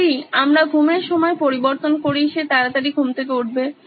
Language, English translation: Bengali, If we change the hour of sleep, he wakes up early